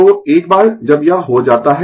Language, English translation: Hindi, So, once it is done